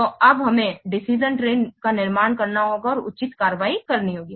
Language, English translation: Hindi, So now we have to construct the decision tree and take the appropriate action